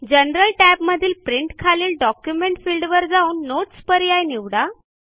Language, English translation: Marathi, In the General tab, under Print, in the Document field, choose the Notes option